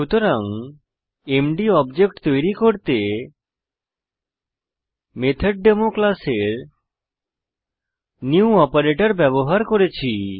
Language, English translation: Bengali, So we have created an object mdof the class MethodDemo using the New operator